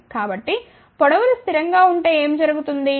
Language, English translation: Telugu, So, if the lengths are fixed what will happen